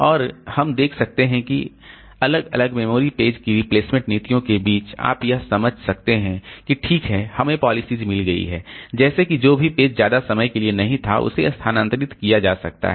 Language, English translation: Hindi, And we may see that this among the different memory page replacement policies, can you understand that okay we have got the policies like whichever page was not there for most of the time so that can be removed